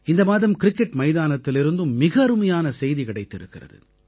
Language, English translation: Tamil, This month, there has been very good news from the cricket pitch too